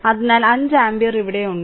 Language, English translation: Malayalam, So, 5 ampere is here